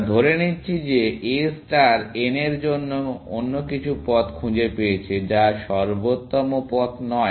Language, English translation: Bengali, We are assuming A star has found some other path to n, which is not the optimal path